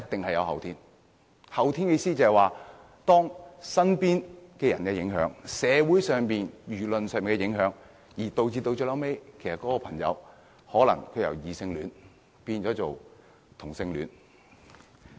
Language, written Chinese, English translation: Cantonese, 後天的意思就是，身邊人的影響，以及社會和輿論的影響，最後導致一個人由異性戀變成同性戀。, What I mean is the influence of people around them society and public opinion will eventually turn a person from a heterosexual into a homosexual